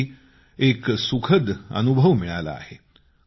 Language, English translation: Marathi, It was indeed a delightful experience